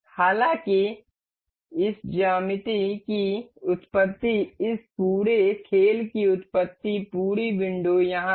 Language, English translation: Hindi, However the origin of this geometry, origin of this whole play this whole window is here